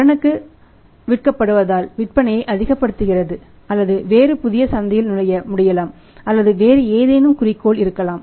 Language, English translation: Tamil, So, why they sell it on the credit maximize the sales or maybe entering into the new market or maybe any other objective